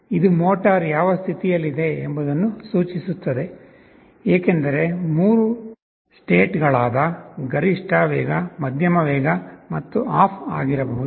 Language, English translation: Kannada, It actually indicates in which state the motor is in, because there can be 3 states, maximum speed, medium speed and off